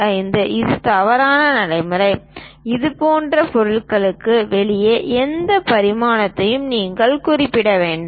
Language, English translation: Tamil, 25 this is wrong practice, you have to mention any dimension outside of the object like this